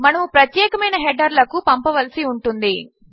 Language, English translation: Telugu, We need to send to specific headers